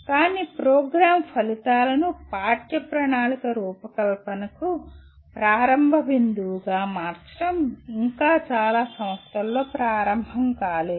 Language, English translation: Telugu, But making Program Outcomes as a starting point for curriculum design is yet to start in majority of the institutions